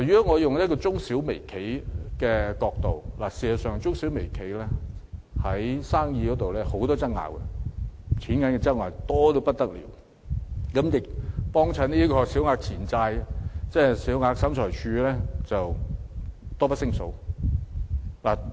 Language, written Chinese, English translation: Cantonese, 我從中小微企的角度去看，中小微企在生意上有很多糾紛，因金錢糾紛而須在審裁處進行訴訟的案件多不勝數。, I look at this issue from the perspective of micro small and medium enterprises . These enterprises have many business disputes and SCT handles countless litigations involving monetary disputes